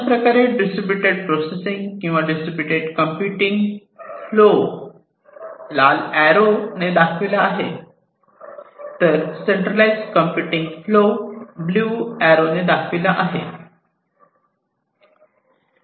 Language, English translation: Marathi, So, this is the flow of distributed processing or distributed computing the red colored arrow shows it and the centralized processing pathway is shown, through the blue colored arrow